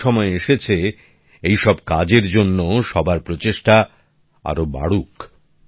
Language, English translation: Bengali, Now is the time to increase everyone's efforts for these works as well